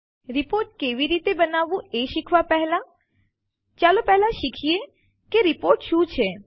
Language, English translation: Gujarati, Before learning how to create a report, let us first learn what a report is